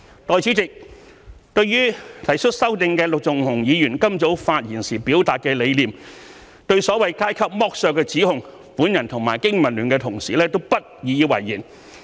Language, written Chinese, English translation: Cantonese, 代理主席，對提出修正案的陸頌雄議員今早發言時表達的理念，對所謂階級剝削的指控，我和經民聯同事都不以為然。, Deputy President in regard to the concepts and the allegation concerning so - called class exploitation expressed this morning by Mr LUK Chung - hung the mover of the amendment colleagues from BPA and I beg to differ